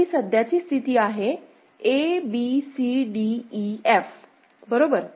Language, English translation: Marathi, So, this is the present state a b c d e f right